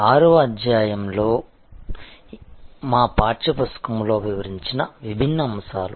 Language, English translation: Telugu, Different aspects as detailed in our text book in chapter number 6